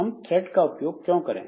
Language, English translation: Hindi, So, why should we go for this threading